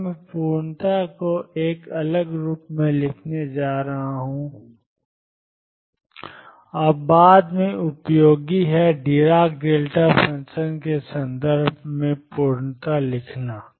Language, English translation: Hindi, Now, I am going to write completeness in a different form and that is useful later, writing completeness in terms of dirac delta function